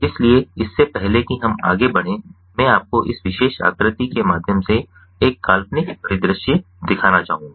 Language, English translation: Hindi, so, before we go further, i would like to show you a hypothetical scenario through this particular figure